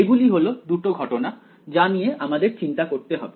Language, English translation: Bengali, These are the 2 cases that we have to worry about